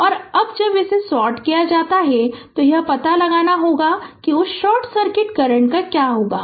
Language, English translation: Hindi, And now, when it is sorted this this ah you have to find out that your what you call that short circuit current